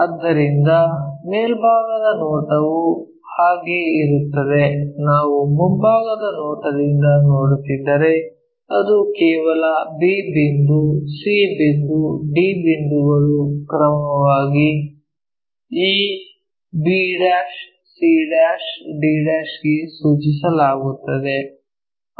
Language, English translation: Kannada, So, top view it will be like that if we are looking from front view it will be just a line where b point, c point, d points mapped to this b', c', d' respectively